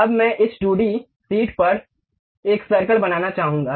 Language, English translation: Hindi, Now, I would like to construct a circle on this 2d sheet